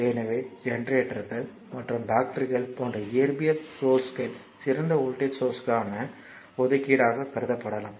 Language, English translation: Tamil, So, physical sources such as generators and batteries may be regarded as appropriations to ideal voltage sources